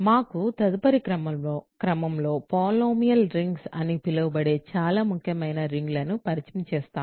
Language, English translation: Telugu, So, in the next order of business for us is to introduce a very important class of rings called polynomial rings